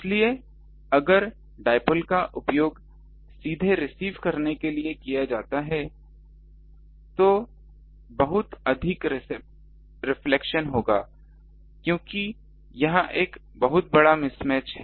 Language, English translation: Hindi, So, if dipole is directly used to receive there will be lot of reflection because it is a huge um mismatch